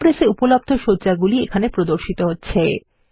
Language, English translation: Bengali, The layouts available in Impress are displayed